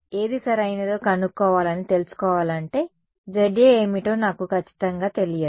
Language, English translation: Telugu, So, for me to know that I need to find out what Za is right I do not exactly know what Za is